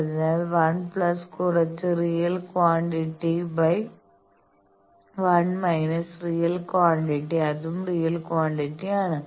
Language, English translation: Malayalam, So, 1 plus some real quantity by 1 minus real quantity, that is also real quantity